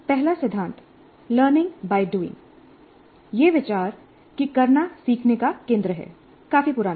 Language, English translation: Hindi, The first principle, learning by doing, the idea that doing is central to learning, it's fairly old